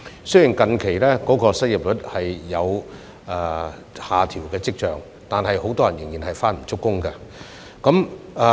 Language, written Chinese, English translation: Cantonese, 雖然近日失業率有下調跡象，但很多人仍然是開工不足。, Despite recent signs of a downward adjustment of the unemployment rate many people are still underemployed